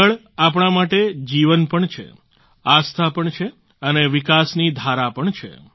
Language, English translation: Gujarati, For us, water is life; faith too and the flow of development as well